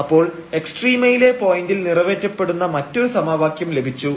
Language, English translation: Malayalam, So, we got this another equation which is satisfied at the point of a extrema